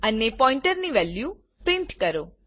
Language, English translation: Gujarati, And print the value of the pointer